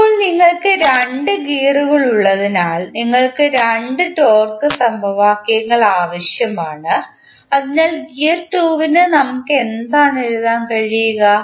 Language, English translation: Malayalam, Now, since we have 2 gears, so we need 2 torque equations, so for gear 2 what we can write